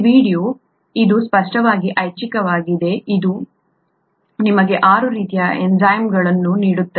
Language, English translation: Kannada, This video, this is optional clearly this gives you the six types of enzymes